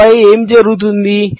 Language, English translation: Telugu, And then what happens